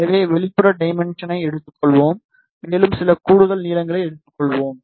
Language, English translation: Tamil, So, let us take the outer dimension plus take some extra lengths